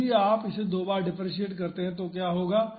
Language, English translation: Hindi, So, if you differentiate it twice, what will happen